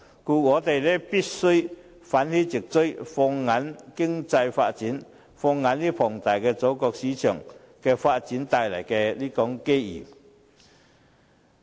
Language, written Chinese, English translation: Cantonese, 故此，我們必須奮起直追，放眼於經濟發展，放眼於龐大祖國市場發展帶來的機遇。, Therefore we must do our best to catch up focusing on economic development and the opportunities brought about by the development of the huge market of our Motherland